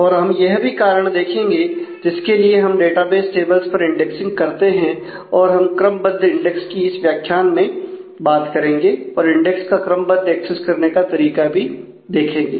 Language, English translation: Hindi, And we will see the reasons for which we do something on the database tables called indexing and we will talk about ordered index in this module and about the index sequential access mechanism